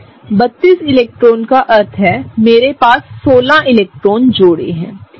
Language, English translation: Hindi, 32 electrons meaning, I have 16 electron pairs, right